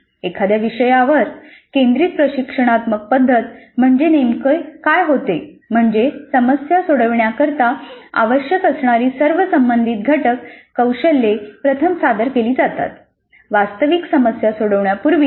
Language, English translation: Marathi, In a topic centered instructional strategy, what typically happens is that the all relevant component skills required to solve a problem are actually first presented before actually getting to solve the problem